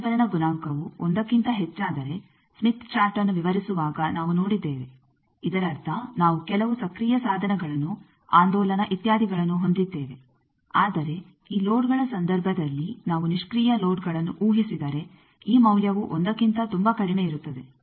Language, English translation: Kannada, We have seen while describing smith chart that if this reflection coefficient becomes greater than 1; that means, we have active some devices present oscillations present etcetera, but in case of this loads, if we assume passive loads then this value is much less than 1